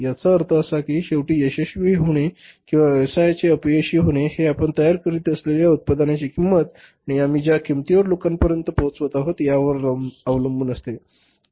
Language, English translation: Marathi, So, means ultimately success or failure of the business to a larger extent depends upon the cost of the product we are manufacturing and the price at which we are passing it on to the people